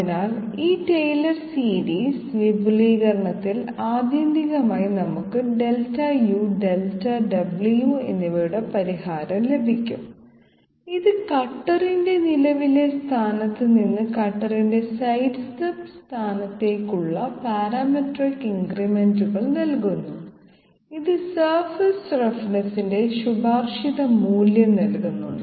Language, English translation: Malayalam, So in this tailor series expansion ultimately we will get the solution of Delta u and Delta w giving us the parametric increments from the present position of the cutter to the sidestep position of the cutter, which will yield the recommended value of surface roughness